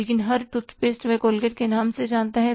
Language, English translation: Hindi, But every tooth face he knows in the name of Colgate